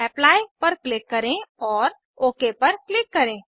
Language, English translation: Hindi, Click on Apply and then click on OK